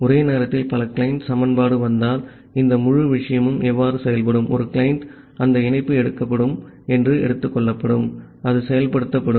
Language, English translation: Tamil, So, how this entire thing will work if multiple client equation are coming simultaneously then, one client will be taken that that connection will be taken that will get executed